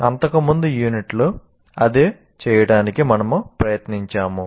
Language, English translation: Telugu, That's what we tried to do in the earlier unit